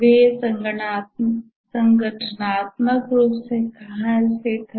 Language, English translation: Hindi, Where are the organizationally located